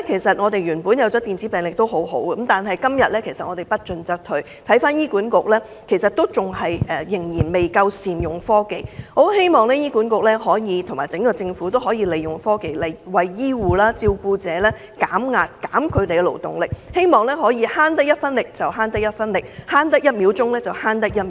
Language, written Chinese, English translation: Cantonese, 雖然電子病歷有好處，但今天不進則退，醫院管理局仍然未能善用科技，我很希望醫管局和整個政府都可以利用科技，為醫護和照顧者減壓，減輕他們的勞動，減省一分力得一分力，省得一秒得一秒。, Nowadays if we do not progress ahead we will lag behind . But the Hospital Authority HA is yet to make good use of technology . I very much hope that HA and the Government can utilize technology to alleviate the pressure on the medical personnel and caretakers and minimize their labour as far as possible